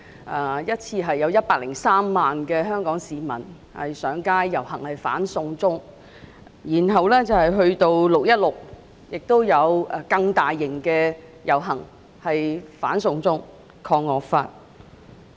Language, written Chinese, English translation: Cantonese, 第一次遊行有103萬香港市民上街遊行"反送中"；其後在6月16日，遊行規模更加大型，同樣是"反送中，抗惡法"。, In the first procession 1.03 million Hong Kong people took to the streets to oppose China extradition; subsequently on 16 June the scale of the procession which was again under the theme of opposing China extradition resisting draconian law was even bigger